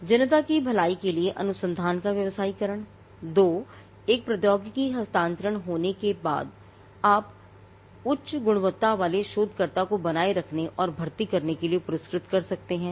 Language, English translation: Hindi, 1 – commercialization of research for the public good; 2 – having one the technology transfer allows you to reward retain and recruit high quality researchers